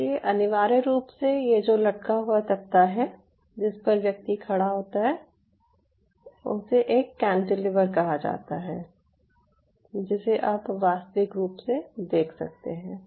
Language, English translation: Hindi, so, essentially, this suspended plank on which this person moves, this is called a cantilever, which you can physically see